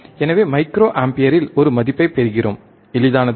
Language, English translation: Tamil, So, we get a value forin microampere, easy